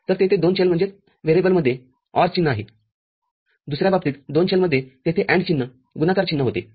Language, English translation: Marathi, So, there is an OR sign in between two variables; in the other case there was an AND sign product sign between two variables